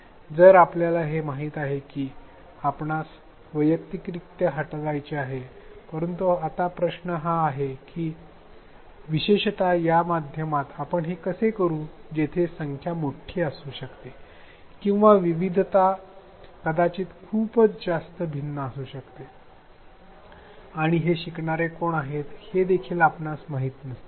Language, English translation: Marathi, So, we do know that we have to address this individuality, but now the question is how do we do it especially in this medium where the numbers may be large or the diversity may be extremely varied and we may not know who these learners are